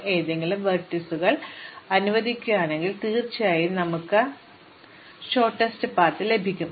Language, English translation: Malayalam, If we allow any vertices, then of course, we will get arbitrary shortest paths